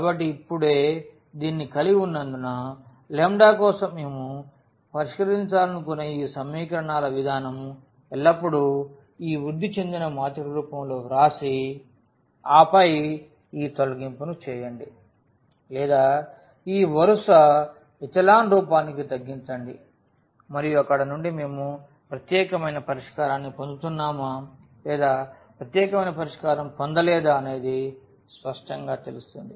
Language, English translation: Telugu, So, having this now, this system of equations which we want to solve for lambdas the general way would be always to write down in the form of this augmented matrix and then do this elimination or reduce to this row echelon form and from there the situation will be clear whether we are getting unique solution or we are getting non unique solution